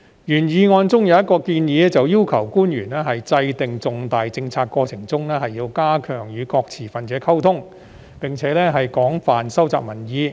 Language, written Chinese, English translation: Cantonese, 原議案中有一項建議，便是要求官員在制訂重大政策過程時要加強與各持份者溝通，並廣泛收集民意。, One of the proposals in the original motion is to require officials to strengthen their communication with various stakeholders in the process of formulating major policies and extensively collect public views